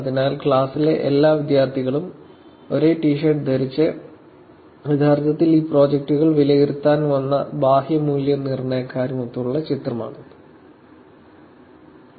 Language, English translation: Malayalam, So, this is the picture with all the students from the class, wearing the same T shirt and with actually the external evaluators who to came to evaluate these projects